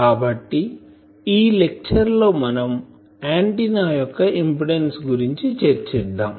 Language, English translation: Telugu, So, today will discuss the Impedance of the Antenna